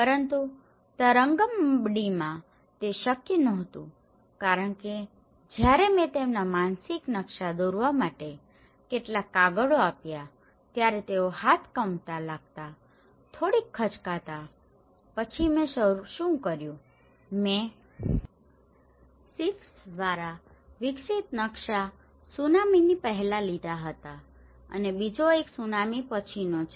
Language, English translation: Gujarati, But in Tarangambadi, it was not possible because when I gave some papers to draw their mental maps, they were bit hesitant to draw the hand started shivering then what I did was I have taken the maps developed by SIFFs one is before tsunami and the second one is after tsunami